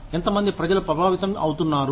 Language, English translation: Telugu, How many people are getting affected